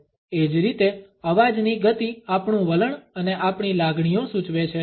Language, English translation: Gujarati, In the same way the speed of voice suggests our attitudes and our feelings